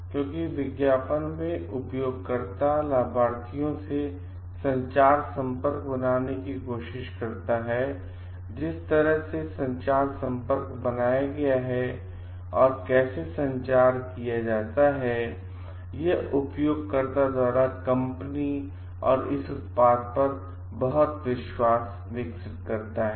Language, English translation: Hindi, Because in advertisement it tries to a make a connection with the end user beneficiaries and the way that connection is made, and how the communication is made it develops a lot of trust of the end users on the company and it is product